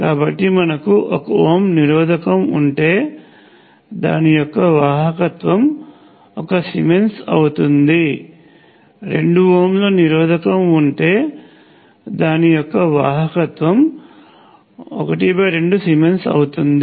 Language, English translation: Telugu, So, if you have a 1 ohm resistor, it is same as saying it has the conductance of 1 Siemens; if you have a 2 ohms resistor, it is the same as saying the conductance is half the Siemens